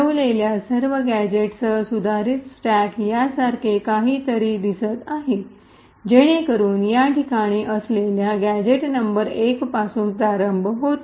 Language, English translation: Marathi, The modified stack with all gadgets placed look something like this, so it starts from gadget number 1 placed in this location